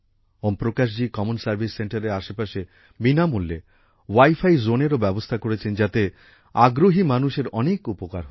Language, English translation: Bengali, Om Prakash ji has also built a free wifi zone around his common service centre, which is helping the needy people a lot